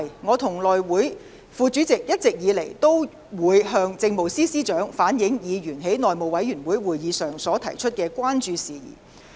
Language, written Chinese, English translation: Cantonese, 我和內務委員會副主席一直以來，均會向政務司司長反映議員在內務委員會會議上所提出的關注事宜。, As always I and the Deputy Chairman have conveyed Members concerns expressed at meetings of the House Committee to the Chief Secretary for Administration